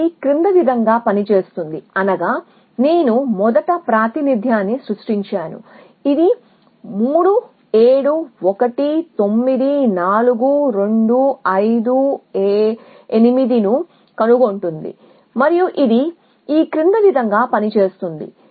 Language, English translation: Telugu, Let us do the other 1 first and this works as follows that I created representation for this to find something 3 7 1 9 4 2 5 6 8 and it work as follows